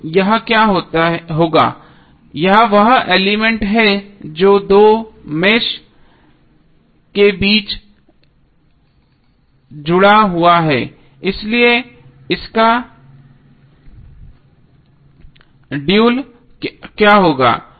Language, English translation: Hindi, So, what will happen here this is the element which is connected between two meshes, so the dual of this would be what